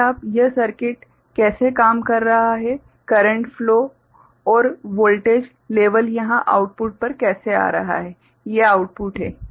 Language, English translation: Hindi, How this circuit is working, how the current flow and the voltage level coming over here at the output these are the outputs ok